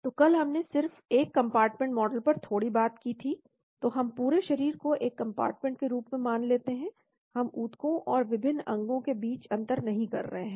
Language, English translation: Hindi, So yesterday we just talked a little bit on one compartment model , so we assume the entire body as one compartment, we do not differentiate between tissues and various organs into it